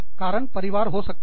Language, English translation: Hindi, Reason, could be family